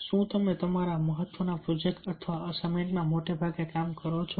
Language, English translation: Gujarati, do you work most of the time in your important projects or assignments